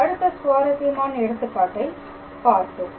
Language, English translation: Tamil, So, this is another interesting example